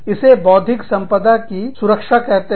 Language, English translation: Hindi, This is called, protection of intellectual property